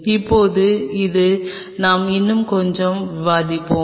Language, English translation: Tamil, Now this is something we will be discussing little bit more